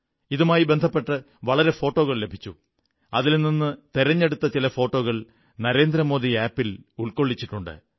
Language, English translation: Malayalam, I received a lot of photographs out of which, selected photographs are compiled and uploaded on the NarendraModiApp